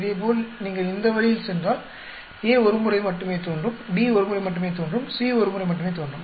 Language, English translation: Tamil, Similarly if you go this way A will appear only once, B will appear only once, C will appear only once